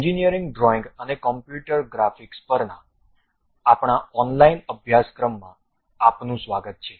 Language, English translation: Gujarati, Welcome to our online certification courses on Engineering Drawing and Computer Graphics